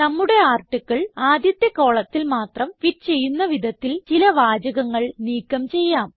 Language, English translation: Malayalam, Let us delete some sentences so that our article fits in the first column only